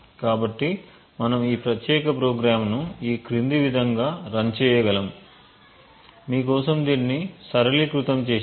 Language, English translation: Telugu, So we could run this particular program as follows, so we have simplified it for you